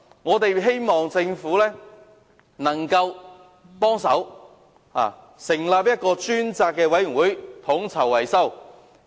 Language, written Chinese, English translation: Cantonese, 我們希望政府可以提供協助，成立專責委員會統籌維修工作。, We hope that the Government can provide assistance and establish a dedicated committee to coordinate maintenance works